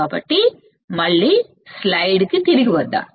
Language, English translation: Telugu, So, let us see again come back to the slide